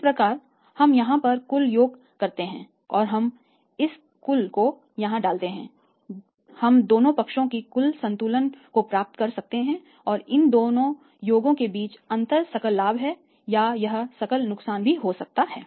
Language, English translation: Hindi, So, total of this we do here we put this total here and we could be total balance both the sides and difference of this man is this site this this man is this side is 2 gross profit or it can be by gross loss GL